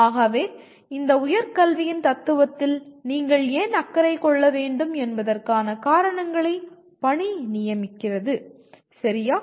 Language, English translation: Tamil, So the assignment is give your reasons why you should be concerned with philosophy of higher education, okay